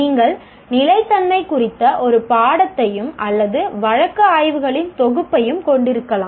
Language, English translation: Tamil, You can also have a course on sustainability or a set of case studies